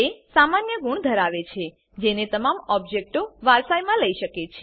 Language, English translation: Gujarati, It has the common qualities that all the objects can inherit